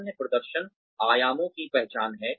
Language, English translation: Hindi, The other is identification of performance dimensions